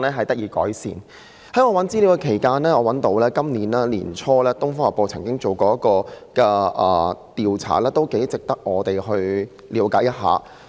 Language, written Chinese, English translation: Cantonese, 在我搜尋資料期間，我找到今年年初《東方日報》曾進行的一項調查，我認為頗值得我們了解一下。, During my research I came across a survey conducted by Oriental Daily early this year . I think it merits our closer look